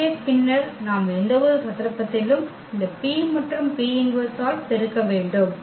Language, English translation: Tamil, So, and then later on we have to in any case just multiply by this P and the P inverse